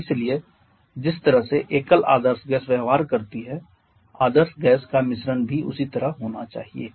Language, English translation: Hindi, And therefore their mixture also should be treated as an ideal gas mixture